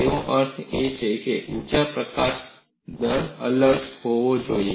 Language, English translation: Gujarati, That means the energy release rate should be different